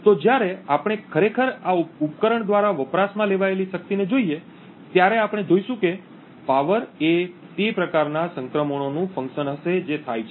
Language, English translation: Gujarati, So, therefore when we actually look at the power consumed by this device, we would see that the power would be a function of the type of transitions that happen